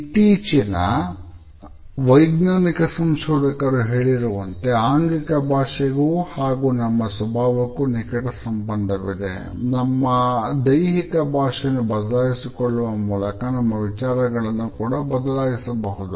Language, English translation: Kannada, Latest scientific researchers have pointed out a close connection between the body language and our self image, suggesting that by changing our body language we can also change our thinking